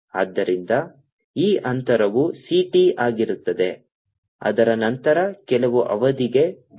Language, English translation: Kannada, so this distances is c, t, after that, for some period, tau